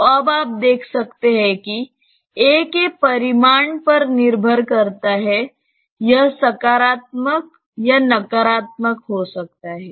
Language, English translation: Hindi, So, you can see now that there is depending on the magnitude of a, this may be positive or negative right